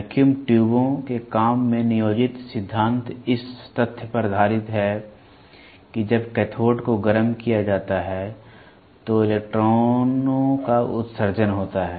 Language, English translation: Hindi, The principle employed in the working of vacuum tubes is based on the fact that when the cathode is heated the electrons are emitted